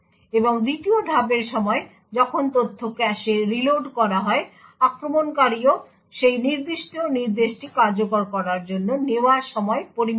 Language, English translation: Bengali, And during the 2nd step when the data is reloaded into the cache, the attacker also measures the time taken for that particular instruction to execute